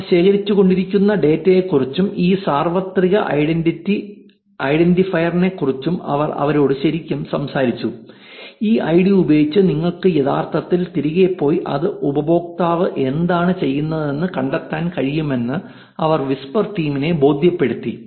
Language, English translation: Malayalam, Where they actually talked to them about the data that that they were collecting and about this universal identifier, which they were able to convince the whisper team that using this id you could actually go back and find out which user did what